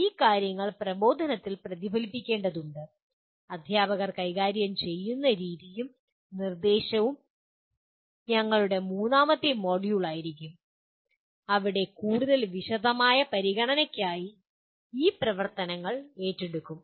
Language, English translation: Malayalam, These things will have to get reflected in the instruction, the way the teachers handle and instruction will be our third module where these activities will be taken up for more detailed considerations